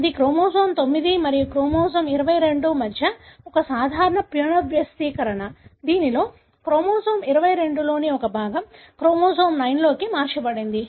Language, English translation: Telugu, This is one common rearrangement between chromosome 9 and chromosome 22, wherein a part of chromosome 22 gets translocated to chromosome 9